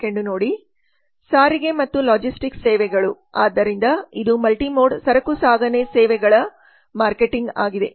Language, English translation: Kannada, transportation and logistics services so this is multimode freight transportation services marketing